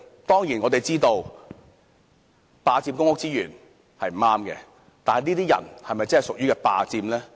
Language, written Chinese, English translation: Cantonese, 當然，我們知道霸佔公屋資源是不對的，但這些人是否確實屬於霸佔公屋呢？, We surely know that unreasonably occupying public housing resources is wrong but are these people truly unreasonably occupying public housing?